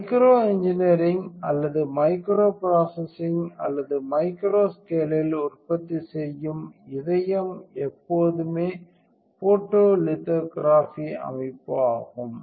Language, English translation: Tamil, The heart of micro engineering or a micro processing, or manufacturing at a micro scale is always a photolithography system